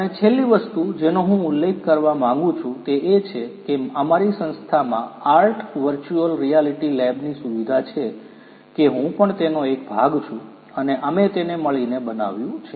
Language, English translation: Gujarati, And, the last thing that I would like to mention is there is a very state of the art virtual reality lab in our institute that that I am also a part of and we have built it together